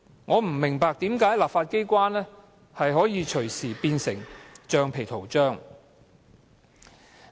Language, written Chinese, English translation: Cantonese, 我不明白為何立法機關可以隨時變成橡皮圖章。, I simply cannot see why the legislature should become a rubber stamp at any time